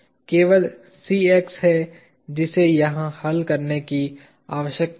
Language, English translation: Hindi, There is only Cx that needs to be solved here